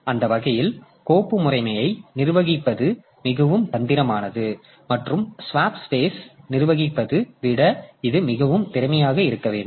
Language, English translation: Tamil, So, that way the managing the file system is more tricky and it has to be more efficient than managing the swap space